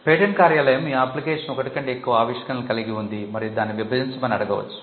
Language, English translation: Telugu, The point, the patent office may point out that you have, your application has more than one invention and ask you to divide it